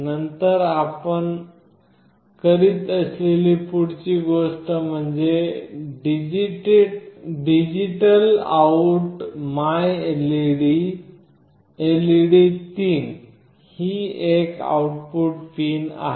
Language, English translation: Marathi, Then the next thing that you are doing is DigitalOut myLED , this is one of the output pins